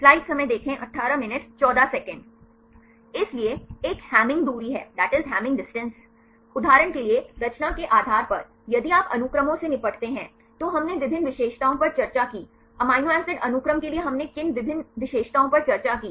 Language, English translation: Hindi, So, one is a hamming distance, based on the composition for example, if you deal with sequences, we discussed various features; what are various features we discussed for the amino acid sequences